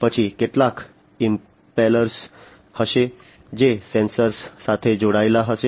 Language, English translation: Gujarati, Then there would be some impellers, which would be attached to the sensors